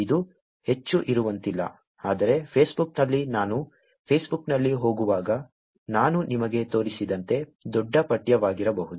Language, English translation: Kannada, It cannot be more than that, whereas in Facebook it can be large text as I showed you when I was going on Facebook